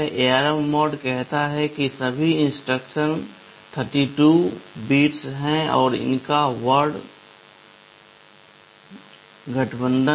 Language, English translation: Hindi, ARM mode says that all instructions are 32 bit wide and their word aligned